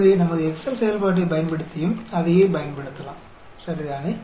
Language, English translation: Tamil, So, we can use the same thing using our Excel function also, ok